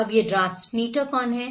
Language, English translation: Hindi, Now, who are these transmitter